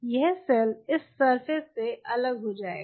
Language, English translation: Hindi, this cell will get detached from this surface